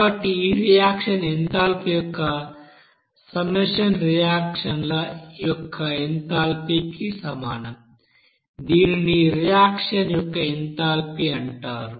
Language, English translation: Telugu, So summation of this enthalpy for this reactant that will be is equal to you know enthalpy of reactants, it is called enthalpy of reactants